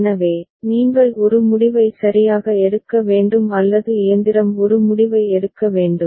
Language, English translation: Tamil, So, you have to take a decision right or the machine has to take a decision